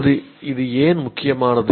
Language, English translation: Tamil, Now why does this become important